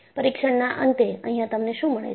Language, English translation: Gujarati, At the end of the test, what you get